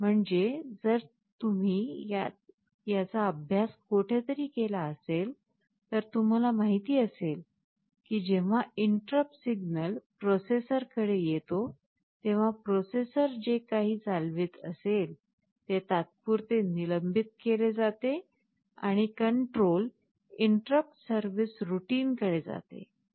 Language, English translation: Marathi, Means, if you have studied it earlier somewhere you know that when an interrupt signal comes to a processor, whatever the processor was executing is temporarily suspended and the control jumps to another program routine called interrupt service routine